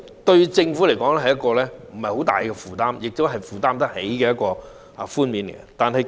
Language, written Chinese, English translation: Cantonese, 對政府來說，這不算是一個很大的負擔，亦是負擔得起的寬免措施。, To the Government this is not considered a very heavy burden and is an affordable concessionary measure